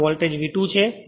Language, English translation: Gujarati, So, voltage is V 2 right